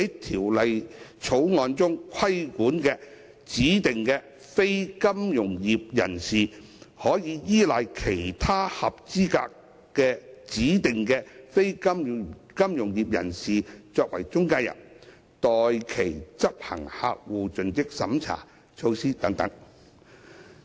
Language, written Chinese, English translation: Cantonese, 《條例草案》中規管的指定非金融業人士，可否依賴其他合資格的指定非金融業人士作為中介人，代其執行客戶盡職審查措施？, Are DNFBPs who are subject to the regulation of the Bill allowed to rely on other qualified DNFBPs as intermediaries to carry out CDD measures on their behalf?